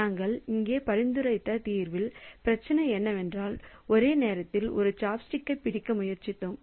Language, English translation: Tamil, So, in the solution that we have suggested here, the problem is that we were trying to grab one chopstick at a time